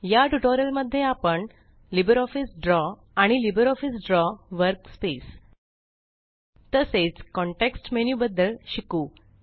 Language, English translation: Marathi, In this tutorial, we learnt about LbreOffice Draw, The LibreOffice Draw Workspace and And the context menu